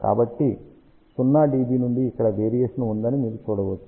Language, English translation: Telugu, So, from 0 dB you can see there is a variation over here